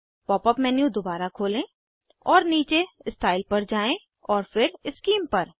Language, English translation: Hindi, Open the pop up menu again and scroll down to Style, then Scheme